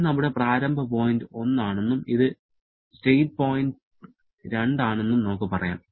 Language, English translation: Malayalam, So, this is our state point 1 and state point 2